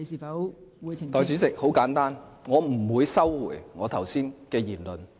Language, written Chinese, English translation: Cantonese, 代理主席，我不會收回剛才的言論。, Deputy President I will not withdraw the remarks I just made